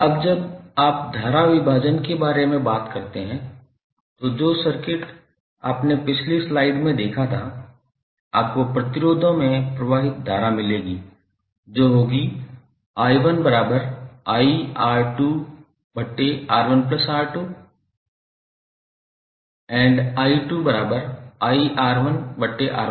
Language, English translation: Hindi, Now when you talk about the current division, the circuit which you saw in the previous slide, that is, in this figure if you apply current division, you will get the current flowing through the individual resistors which are expressed like i1 is equal to iR2 upon R1 plus R2 and i2 is equal to iR1 upon R1 plus R2